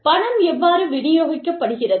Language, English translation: Tamil, How does the money get distributed